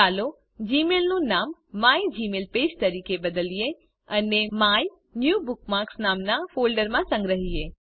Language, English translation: Gujarati, Lets change the name of gmail to mygmailpage and store it in a new folder named MyNewBookmarks